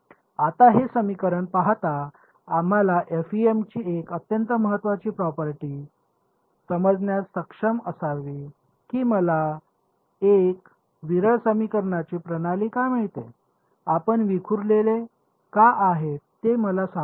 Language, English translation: Marathi, Now, looking at this equation, we should be able to understand one very very key property of f e m why do I get a sparse system of equations, can you can you tell me why is it sparse